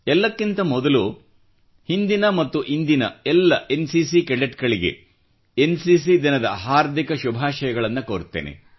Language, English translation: Kannada, At the outset on the occasion of NCC, Day, I extend my best wishes to all NCC Cadets, both former & present